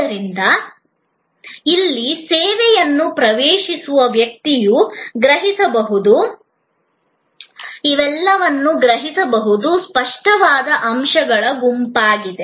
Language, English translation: Kannada, So, everything that a person accessing the service here perceives, those are all set of tangible elements